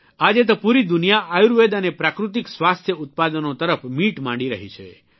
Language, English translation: Gujarati, Today the whole world is looking at Ayurveda and Natural Health Products